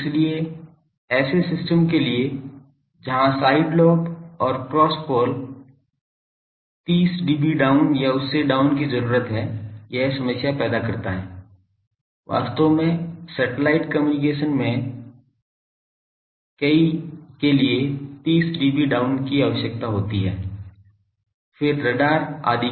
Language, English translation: Hindi, So, for systems where side lobes and cross pole are desired to be 30 dB down 30 dB or more down this creates a problem, actually 30 dB down is required for many of the satellite communication systems; then radars etc